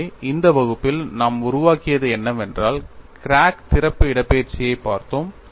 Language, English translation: Tamil, So, in this class, what we have developed was, we had looked at crack opening displacement